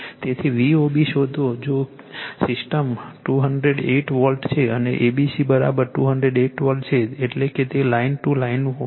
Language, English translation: Gujarati, So, find V O B given that the system is 208 volt and A B C is equal 208 volt means it is line to line right